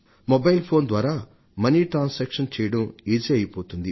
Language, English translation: Telugu, It will become very easy to do money transactions through your mobile phone